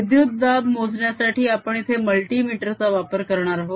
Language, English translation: Marathi, to measure the voltage we use this multimeter here